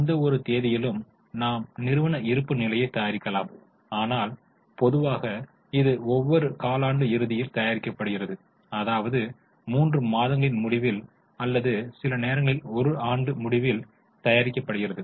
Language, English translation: Tamil, We can make balance sheet as on any date, but normally it prepared at the end of the quarter maybe at the end of three months or sometimes at the end of one year